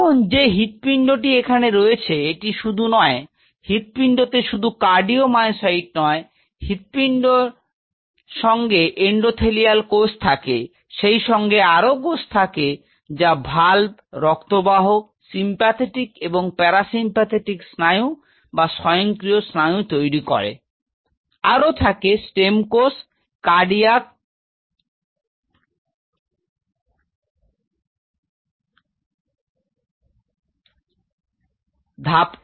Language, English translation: Bengali, Now, this heart which is here, it is surrounded by not only heart has only cardio myocytes, the heart consists of endothelial cells then there are cells which are forming the valves, there are blood vessels, there are sympathetic and parasympathetic nerves or rather autonomic nerves, there are stem cells cardiac step cells which are present there